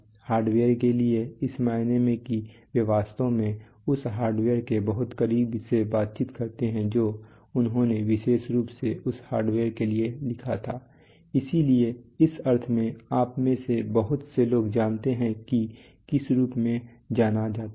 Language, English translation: Hindi, To the hardware in the sense that they actually interact very close to the hardware they written specifically for that hardware so in that sense we have a lot of you know what is known as